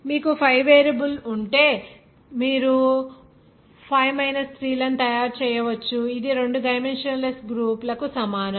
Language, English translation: Telugu, If you have 5 variable then you can make 5 3 that will equal to two dimensionless groups